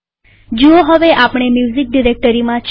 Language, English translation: Gujarati, See, we are in the music directory now